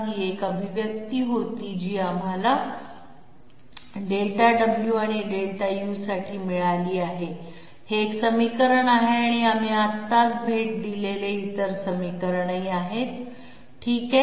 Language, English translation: Marathi, This was the one expression that we got for Delta w and Delta u, this is one equation and other equation we visited just now this one okay